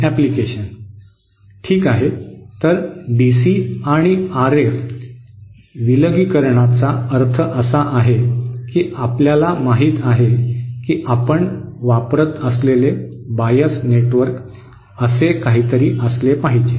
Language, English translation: Marathi, Okay, so DC and RF separation means that see ideally you know that bias network that you should use should be something like this